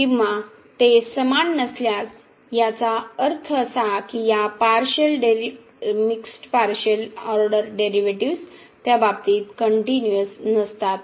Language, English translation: Marathi, Or if they are not equal that means these partial mixed partial order derivatives are not continuous in that case